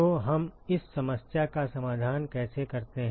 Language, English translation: Hindi, So, how do we address this problem